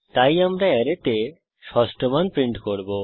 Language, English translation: Bengali, So We shall print the sixth value in the array